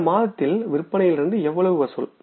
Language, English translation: Tamil, The sales for the current month are how much